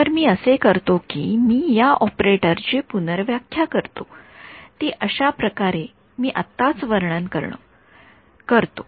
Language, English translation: Marathi, So, what I do is I redefine this operator itself ok, in a way that I will describe right now